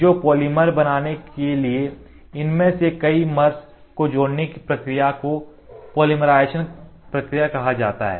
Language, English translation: Hindi, So, the process of joining several of these mers to form a polymer is called as polymerization process